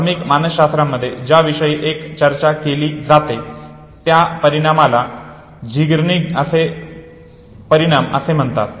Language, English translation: Marathi, One a interesting thing which is also talked about in introductory psychology is an effect called Zeigarnik Effect